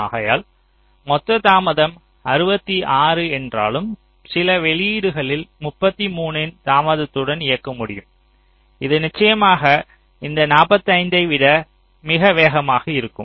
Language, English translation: Tamil, so although the total delay is sixty six, but some of the outputs you can drive with the delay of thirty three, ok, as if this is of course much faster than this forty five